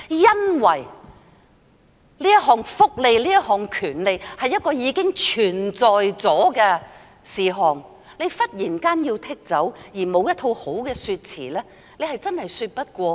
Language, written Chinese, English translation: Cantonese, 因為這項福利、這項權利是已經存在的事實，忽然要將之剔除，而沒有一套好的說詞，真的說不過去。, It is because such a welfare benefit such a right is an established fact . It is really unacceptable for the Government to revoke it suddenly without offering a good explanation